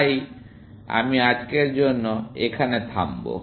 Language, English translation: Bengali, So, I will stop here for today